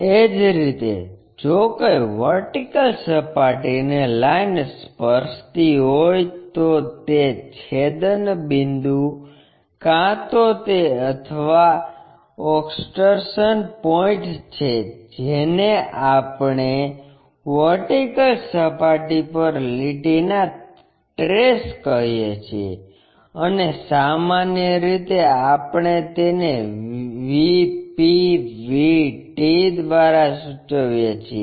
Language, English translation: Gujarati, Similarly, if a line is touching the vertical plane the intersection point either that or the extension point that is what we call trace of a line on vertical plane, and usually we denote it by VP VT